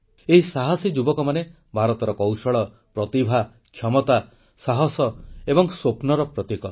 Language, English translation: Odia, These promising youngsters symbolise India's skill, talent, ability, courage and dreams